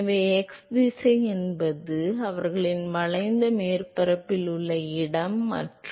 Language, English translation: Tamil, So, x direction is the; it is the location on their along the curved surface and